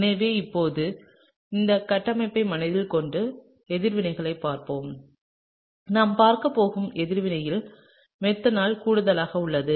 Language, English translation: Tamil, So, now with this structure in mind let’s look at the reaction; the reaction that we are going to look at is addition of methanol, okay